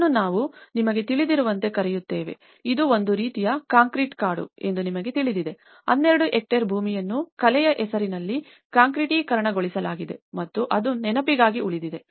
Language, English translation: Kannada, It is, we call it as you know, it is a kind of concrete jungle you know 12 hectares of land has been concretized as a part of in the name of the art and it has been as a memory